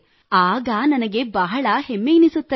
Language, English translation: Kannada, I feel very proud of him